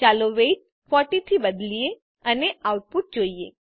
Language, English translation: Gujarati, Let us change the weight to 40 and see the output